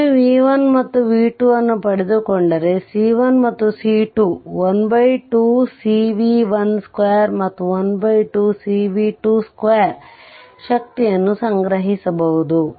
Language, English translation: Kannada, Once you get this b 1 and b 2, you know c 1 and c 2 you can calculate half c v 1 square and half cv 2 square the energy stored right